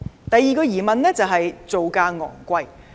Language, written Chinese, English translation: Cantonese, 第二個疑問是造價昂貴。, The second worry is that the reclamation project is too costly